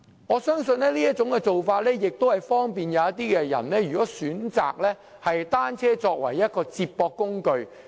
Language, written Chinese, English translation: Cantonese, 我相信這種做法可利便那些選擇以單車作為接駁工具的人。, It is really convenient . I think this approach is convenient to people who use bicycles to commute to transport interchanges